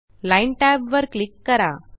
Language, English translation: Marathi, Click the Line tab